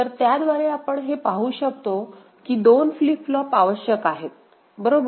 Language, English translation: Marathi, So, by which we can see that 2 flip flops will be required, right